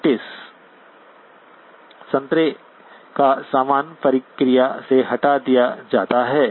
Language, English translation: Hindi, Notice the orange stuff is removed in the process